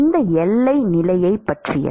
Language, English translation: Tamil, What are the boundary conditions